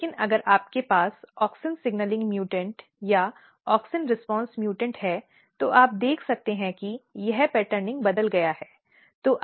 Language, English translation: Hindi, But if you have auxin mutant, auxin signalling mutant or auxin response mutant you can see that this patterning is changed